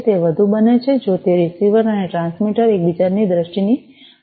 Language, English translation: Gujarati, It becomes more, if that the receiver and the transmitter are in the line of sight of each other